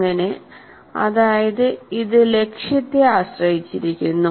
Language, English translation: Malayalam, So it depends on the objective